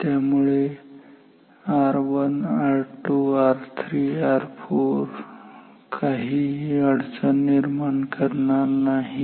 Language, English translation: Marathi, So, so R 1 R 2 R 3 and R 4 does not create any problem